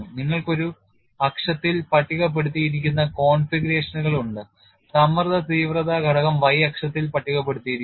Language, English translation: Malayalam, You have configurations listed on one axis, stress intensity factor is rested on the y axis